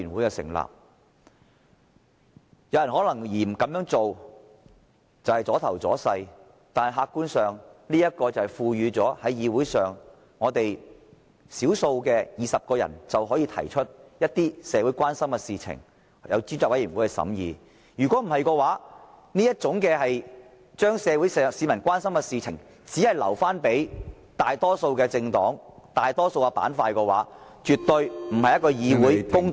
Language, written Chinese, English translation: Cantonese, 有人可能認為這樣做是"阻頭阻勢"，但客觀上，這才是賦予議會內少數派權力，只要20人提出，便可把某些社會關心的事情交由專責委員會審議，否則，當這些事情只能留給屬大多數的政黨和大多數的板塊處理時，這絕非公道的議會行為。, Some people may think that we are posing obstacles but if we look at it objectively this is meant to empower the minority in this Council to refer certain issues of public concern to a select committee with only 20 Members sponsoring the request . Otherwise if these issues can be dealt with only by the majority parties or the sector that is in the majority this is absolutely not fair parliamentary conduct